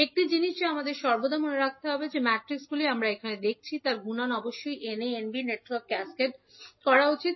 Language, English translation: Bengali, One thing which we have to always keep in mind that multiplication of matrices that is we are seeing here must be in the order in which networks N a and N b are cascaded